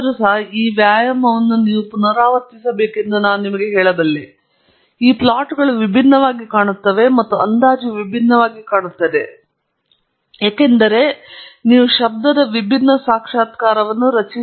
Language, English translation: Kannada, I can tell you, if you were to repeat this exercise, these plots here will look different and the estimates will look different, because you will generate a different realization of noise